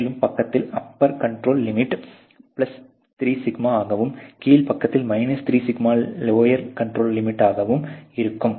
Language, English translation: Tamil, So, on the upper side you have 3σ as your +3σ as your upper control limit and 3σ on the lower side as your lower control limit